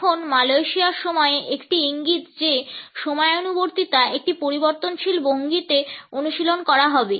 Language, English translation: Bengali, Now Malaysian time is an indication that the punctuality would be practiced in a fluid fashion